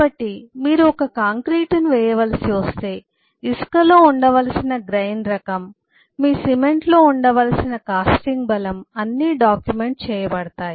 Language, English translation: Telugu, so if you have to cast a, cast a concrete, the kind of grain that the sand should have, the kind of casting strength you cement should have, are all documented and fixed